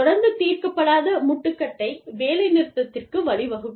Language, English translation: Tamil, And, an ongoing unresolved impasse, can lead to a strike